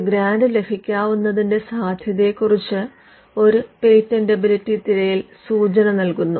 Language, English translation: Malayalam, The patentability search gives you an indication as to the chances of getting a grant